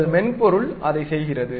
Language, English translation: Tamil, So, your software does that